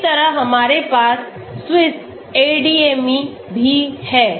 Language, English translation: Hindi, Similarly, we also have the SwissADME